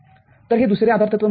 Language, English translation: Marathi, So, this is the second postulate